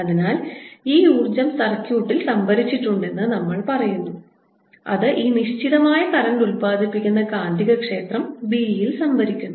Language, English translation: Malayalam, so we say this energy is stored in the circuit and we take it to be stored in the magnetic field b that is produced by this current finite